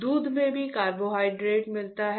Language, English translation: Hindi, Carbohydrates also come from milk